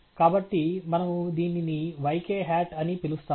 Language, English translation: Telugu, So, we call this as yk hat